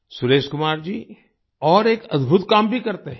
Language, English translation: Hindi, Suresh Kumar ji also does another wonderful job